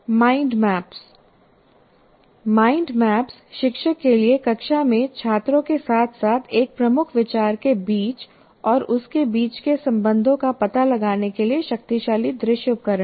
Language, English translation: Hindi, Mind maps are powerful visual tools for the teacher to explore along with the students in the classroom, the relationships between and along parts of a key idea